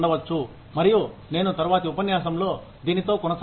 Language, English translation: Telugu, And, I will continue with this, in the next lecture